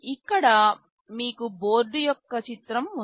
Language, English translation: Telugu, Here you have a picture of the board